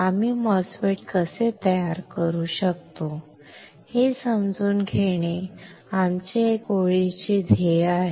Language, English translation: Marathi, That is our one line goal to understand how we can fabricate a MOSFET